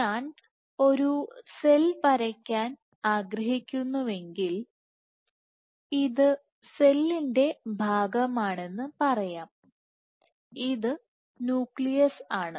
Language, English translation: Malayalam, Let us say this is portion of the cell this is the nucleus and let us say